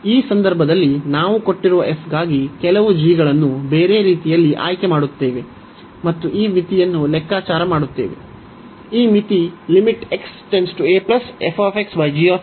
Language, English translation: Kannada, So, in this case we will choose some g for given f for the other way around, and compute this limit